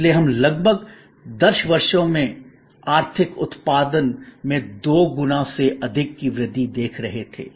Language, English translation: Hindi, So, we were looking at more than doubling in the economic output over a span of about 10 years